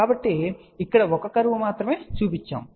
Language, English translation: Telugu, So, only one curve has been shown over here